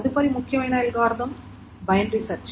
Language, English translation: Telugu, The next important algorithm of course is a binary search